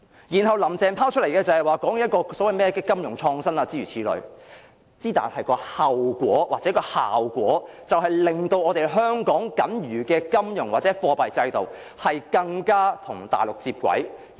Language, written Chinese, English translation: Cantonese, 然後，"林鄭"提出所謂的金融創新，但帶來的後果或效果是，我們的金融或貨幣制度變得更加與大陸接軌。, Thereafter Carrie LAM put forward something called financial innovation but the result or effect it will bring is a higher degree of connectivity with the Mainland in our financial or monetary system